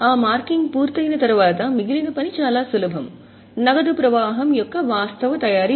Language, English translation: Telugu, Once that marking is done, the rest of the work is very simple, actual preparation of cash flow